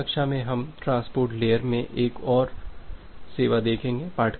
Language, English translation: Hindi, In the next class we will look into another service in the transport layer